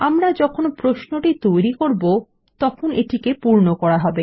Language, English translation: Bengali, As we design the query, we will fill these up